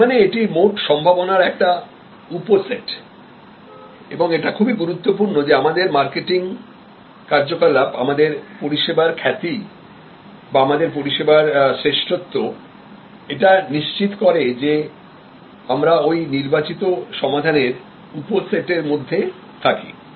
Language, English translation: Bengali, So, it is a subset of the total possibility and it is important that as our marketing activity, our service reputation, our service excellence ensures that we are within the evoked set